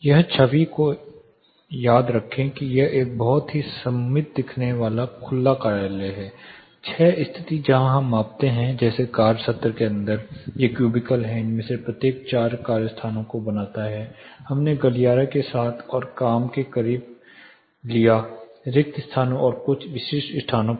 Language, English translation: Hindi, Remember this image this is a very symmetric looking open office 6 position we where measuring like, inside the work session these are cubicles say know each of this makes four work places all across we took along the aisles plus know within close to the work spaces and few specific locations